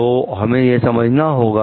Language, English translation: Hindi, So, this we have to understand